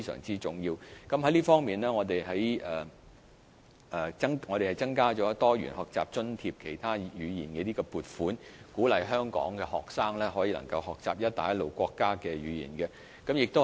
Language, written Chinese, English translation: Cantonese, 在這方面，政府增加了"多元學習津貼——其他語言"的撥款，鼓勵香港學生學習"一帶一路"國家的語言。, In this regard the Government has increased funding for the Diversity Learning Grant to encourage students in Hong Kong to learn the languages of the Belt and Road countries